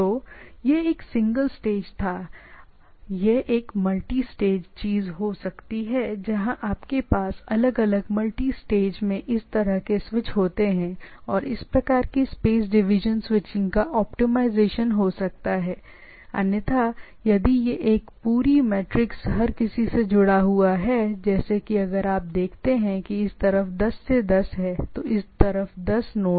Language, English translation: Hindi, So, it is a that was a single stage, it can be a multi stage thing where you have this sort of switches in different multi stage and in doing so, there can be optimization of this type of space division switching, otherwise if it is a whole matrix everybody is connected to everybody by these things like here if you see there are 10 to 10 this side 10 nodes this side 10 nodes